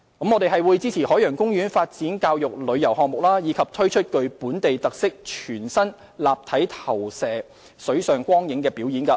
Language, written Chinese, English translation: Cantonese, 我們會支持海洋公園發展教育旅遊項目，推出具本地特色的全新立體投射水上光影表演。, We will support the development of educational tourism projects at the Ocean Park by launching a brand new 3D projection - cum - water light show with local characteristics